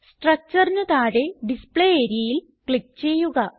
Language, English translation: Malayalam, Click on the Display area below the structure